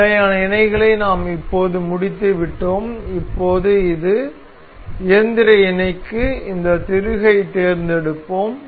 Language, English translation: Tamil, We have just finished this standard mates we have now this mechanical mates we will select this screw